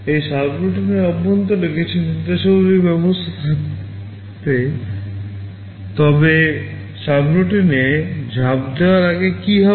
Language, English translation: Bengali, Inside this subroutine there will be some instructions, but before jump into the subroutine what will happen